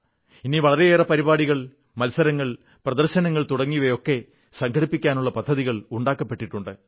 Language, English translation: Malayalam, In the times to come, many programmes, competitions & exhibitions have been planned